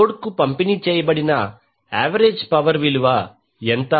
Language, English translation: Telugu, What is the average power delivered to the load